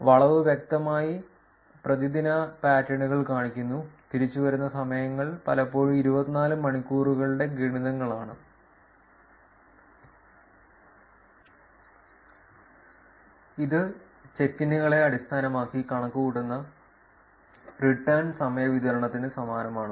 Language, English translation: Malayalam, The curve shows clearly daily patterns with returning times often being multiples of 24 hours which is very similar to the distribution of returning times computed based on the check ins